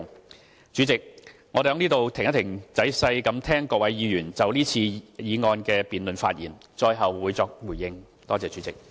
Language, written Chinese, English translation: Cantonese, 代理主席，我會在此稍停，待仔細聆聽各位議員就是次議案辯論發言後，最後再作回應。, I will give a consolidated response after listening carefully to the speeches delivered by Honourable Members